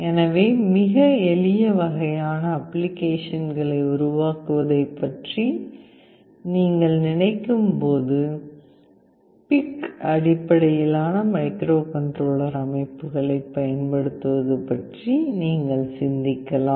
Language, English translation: Tamil, So, when you think of the developing very simple kind of applications, you can think of using PIC based microcontroller systems